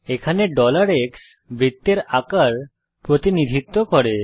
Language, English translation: Bengali, Here $x represents the size of the circle